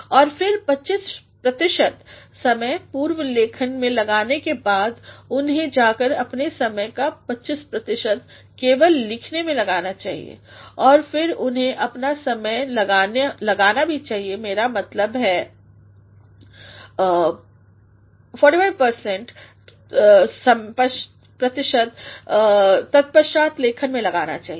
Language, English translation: Hindi, And then after 25 percent of time being spent in pre writing, they should go they should spend 25 percent of their time just in writing and then they should also spend time; I mean 45 percent of the time should be spent in re writing